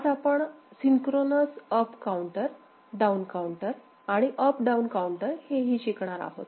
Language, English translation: Marathi, Now, we can move to a synchronous up and down counter, right